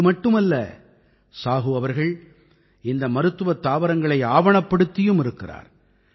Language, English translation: Tamil, Not only this, Sahu ji has also carried out documentation of these medicinal plants